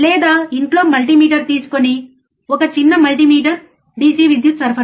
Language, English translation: Telugu, oOr get the multimeter at home, a small multimeter, a DC power supply, right